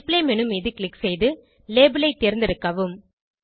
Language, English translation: Tamil, Click on the display menu, and select label